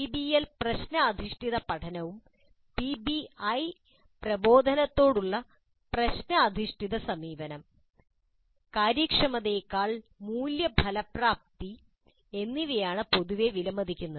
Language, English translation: Malayalam, It is generally perceived that PBL problem based learning as well as PBI problem based approach to instruction values effectiveness or efficiency